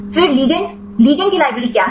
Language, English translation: Hindi, Then the ligand; what is the library of ligand